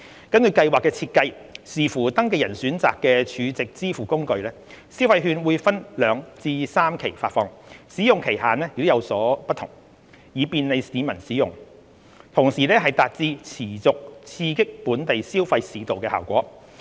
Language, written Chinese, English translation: Cantonese, 根據計劃的設計，視乎登記人選擇的儲值支付工具，消費券會分兩至三期發放，使用期限亦有所不同，以便利市民使用，同時達致持續刺激本地消費市道的效果。, According to the design of the Scheme the consumption vouchers will be disbursed by two to three instalments with different validity periods according to the choice of SVF made by the registrants to facilitate their use and at the same time to stimulate the local consumption market continuously